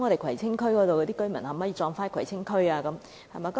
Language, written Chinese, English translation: Cantonese, 葵青區居民的骨灰可否安放在葵青區？, Can ashes of Kwai Tsing residents be interred in Kwai Tsing?